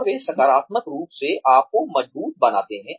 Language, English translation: Hindi, And, they positively reinforce you